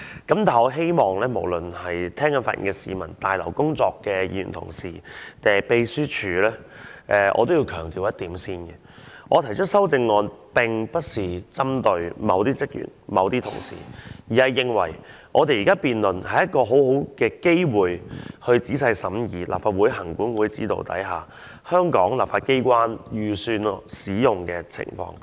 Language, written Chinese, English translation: Cantonese, 對於無論是正在收聽本會辯論的市民，還是在大樓工作的議員同事和秘書處職員，我都要先強調一點，我提出這項修正案，並不是針對某些職員或某些同事，而是認為現時的辯論是一個很好的機會，讓我們可仔細審議在立法會行管會指導下，香港立法機關預算開支的使用情況。, To those members of the public who are listening to the debate of this Council and to Honourable colleagues and the Secretariat staff working in this Complex I have to emphasize one point and that is when I put forward this amendment I do not mean to take issue with certain staff or certain colleagues but think that this debate provides a good opportunity for us to scrutinize in detail how the estimated annual expenditure is used by the Hong Kong legislature under the guidance of the Legislative Council Commission